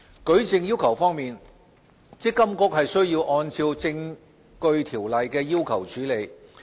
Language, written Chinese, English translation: Cantonese, 舉證要求方面，積金局則須按照《證據條例》的要求處理。, In respect of the standard of proof the requirements under the Evidence Ordinance shall apply